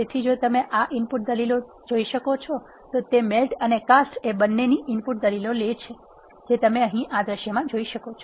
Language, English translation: Gujarati, So, if you can see these input arguments, it takes the input arguments of both melt and cast as you can see in this command here